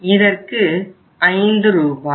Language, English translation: Tamil, In this case it is 5 Rs